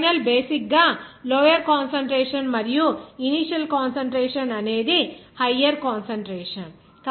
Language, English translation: Telugu, So final is basically the low concentration and initial concentration is higher concentration